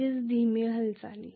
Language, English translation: Marathi, Which means it is slow movement